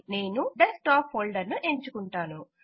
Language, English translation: Telugu, I will choose the Desktop folder